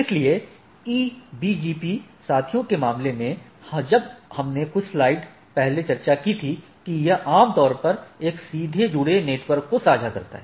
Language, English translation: Hindi, So, these in case of a EBGP peers as we discussed couple of slides back it typically share a directly connected network